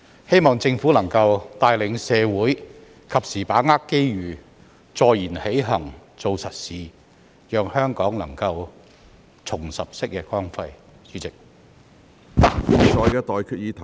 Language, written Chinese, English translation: Cantonese, 希望政府能夠帶領社會及時把握機遇，坐言起行，做實事，讓香港能夠重拾昔日光輝。, I hope that the Government will lead the community to seize the opportunity in time and act on its words by doing real work so that Hong Kong can regain its past glory